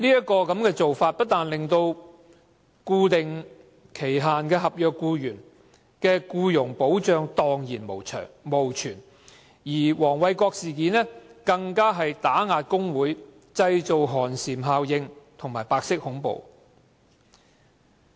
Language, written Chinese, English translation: Cantonese, 該漏洞不單令固定期限合約僱員毫無僱傭保障，黃偉國事件更是打壓工會，製造寒蟬效應和白色恐怖的實例。, The loophole deprives employees on fixed term contract of employment protection and the Dr Benson WONG incident is a concrete example of suppressing unions creating chilling effect and white terror